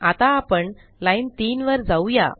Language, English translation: Marathi, So lets come to line 3